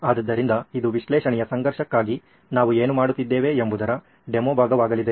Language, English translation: Kannada, So that’s going to be the demo part of what we are doing for the conflict of analysis for this